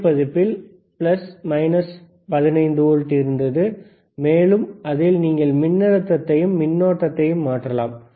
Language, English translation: Tamil, iIn thea newer version, there was plus minus 15 volts, you can change the voltage you can change the and current